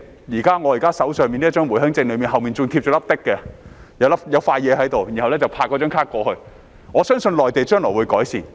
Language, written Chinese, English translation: Cantonese, 現在我手上的回鄉證背面便貼有一小片東西，可以拍卡過關，我相信內地將來會改善。, The Home Visit Permit in my hand right now has a tiny piece affixed on its back with which I can go through customs clearance by tapping the card . I believe that the Mainland authorities will improve it in the future